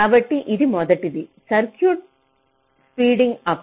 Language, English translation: Telugu, so this is the first thing: speeding up the circuit